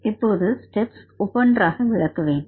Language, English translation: Tamil, I will explain the steps now one by one